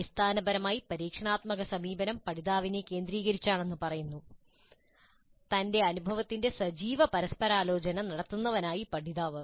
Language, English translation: Malayalam, Basically the experience, experiential approach says that it is learner centric, learner as active negotiator of his experience